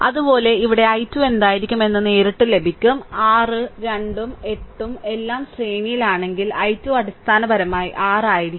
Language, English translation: Malayalam, Similarly here directly you will get it what will be i 2; i 2 will be your basically if you add 6 2 and 8 all are in series